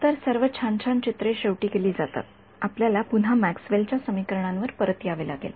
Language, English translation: Marathi, So, all the good nice pictures are done finally, you have to come back to Maxwell’s equations right